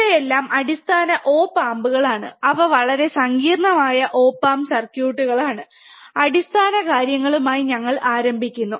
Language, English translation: Malayalam, These are all basic op amps ok, they are very complex op amp circuits, we start with the basic things